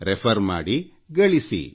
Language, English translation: Kannada, Refer and earn